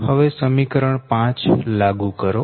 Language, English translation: Gujarati, so now apply equation five